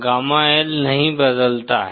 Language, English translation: Hindi, Gamma L does not change